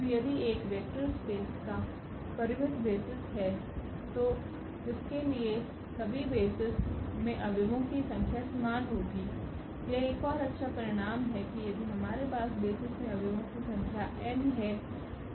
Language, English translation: Hindi, So, if a vector space has finite basis then all of its basis have the same number of elements, that is another beautiful result that if we have the n number of elements in the basis